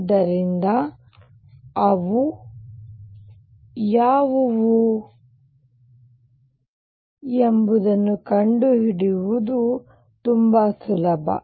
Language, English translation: Kannada, So, now, it is quite easy to find out what these are